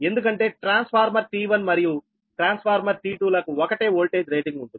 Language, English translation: Telugu, right, because transformer t one and transformer t two, they have the same voltage rating, right, and that's why on the